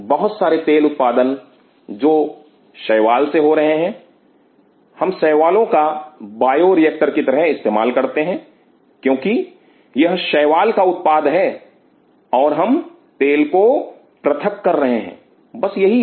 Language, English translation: Hindi, Lot of oil production which is happening the algae we are using algae as the bioreactor, because it is producing algae we have isolating the oil and that is it